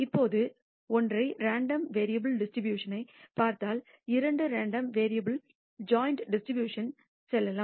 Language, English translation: Tamil, Now, having seen the distribution of single random variable, let us move on to the joint distribution of two random variables